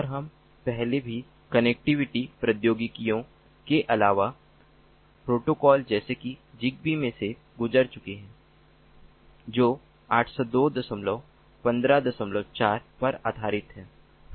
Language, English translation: Hindi, we have also gone through previously in the connectivity technologies, different protocols set a, such as zigbee, which is based on eight zero two, point fifteen, point four